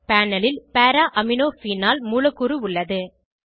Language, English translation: Tamil, This is a molecule of Para Amino Phenol on the panel